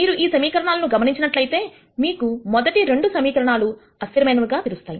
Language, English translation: Telugu, So, if you notice these equations you would realize that the first 2 equations are inconsistent